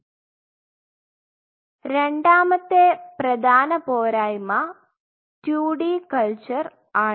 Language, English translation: Malayalam, The second major drawback is what we have used is 2D culture